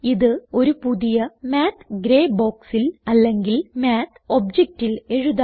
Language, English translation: Malayalam, Let us write these in a fresh Math gray box or Math object